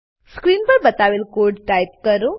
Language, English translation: Gujarati, Type the piece of code as shown on the screen